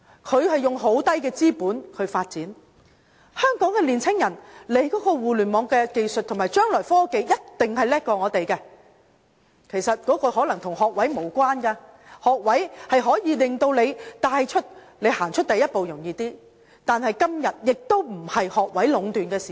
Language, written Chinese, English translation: Cantonese, 他們以很低的資本發展，香港年青人對於互聯網的技術和將來的科技一定比我們更好，其實這可能與學位無關，學位可以帶領我們更容易踏出第一步，但今天不再是學位壟斷的時代。, Young people in Hong Kong surely have better knowledge of Internet and future technological development but this is probably not related to degree qualification . A degree facilities us to take the first step yet the era of monopoly by degree holders has long gone